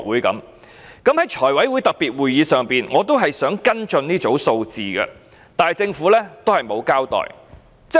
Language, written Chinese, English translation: Cantonese, 在財務委員會特別會議上，我仍想跟進這組數字，但政府沒有交代。, I tried to follow up with the data in the special meeting of the Finance Committee but the Government did not have any further explanation